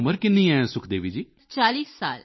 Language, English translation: Punjabi, how old are you Sukhdevi ji